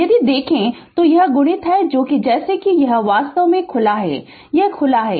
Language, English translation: Hindi, If you look into that this is open as soon as you ah this is this is actually open